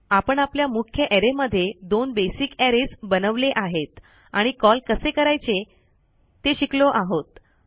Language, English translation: Marathi, So weve made our two basic arrays inside our main arrays, and weve learnt to call it